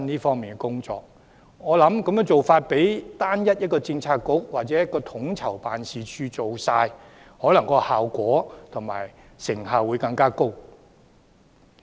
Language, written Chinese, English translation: Cantonese, 我認為這個做法比由單一的政策局或統籌辦事處負責，成效會更高。, I hold that this initiative will be more effective than assigning the responsibility to one single bureau or to the Policy Innovation and Co - ordination Office